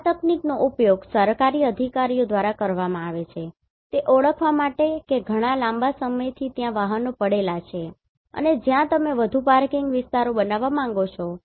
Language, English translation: Gujarati, This technique can be used by the government officials to identify what are the vehicles which are lying there for long time and where you want to construct more parking areas